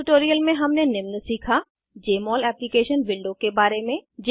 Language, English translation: Hindi, In this tutorial we learnt#160: * About Jmol Application window